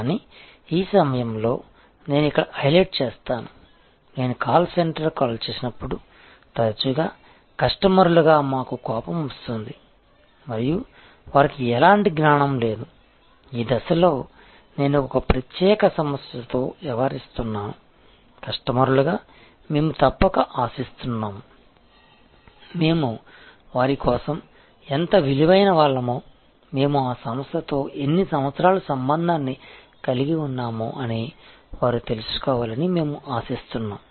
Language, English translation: Telugu, But, let me highlight here at this point that often we are annoyed as customers, when I call up the call center and they have no knowledge, that particular person I am dealing with a one particular problem at this stage, we as customers expect that they must know how valuable we have been for them, how many years of relationship they have had with me